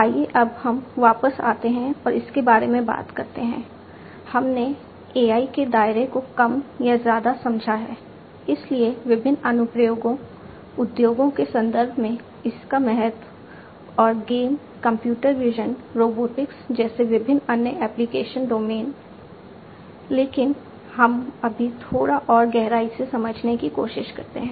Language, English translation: Hindi, Let us now go back and talk about, we have understood more or less the scope of AI, the different applications of it, its importance in the context of industries and different other application domains like games, computer vision, robotics, etcetera, but let us now try to understand in little bit further depth